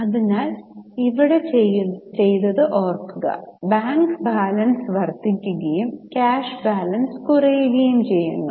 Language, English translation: Malayalam, So, remember here what is done is the bank balance is increasing and the cash balance is decreasing